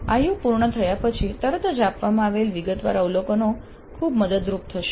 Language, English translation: Gujarati, So, the detailed observations given immediately after the completion of an IU would be very helpful